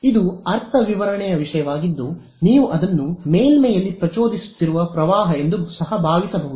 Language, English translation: Kannada, That is a matter of interpretation you can also think of it as a current that is being induced on the surface